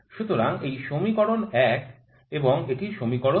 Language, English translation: Bengali, So, this is equation 1 and this is equation 2